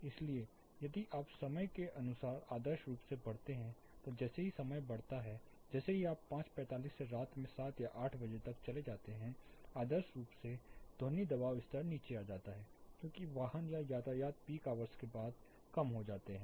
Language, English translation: Hindi, So, eventually if you see as the time grows ideally as the time increases like you go from 5:45 you go down to 7 o clock 8 o clock in the night, ideally the sound pressure level has to come down because the vehicle or traffic would come down after the peak hours it has to decay down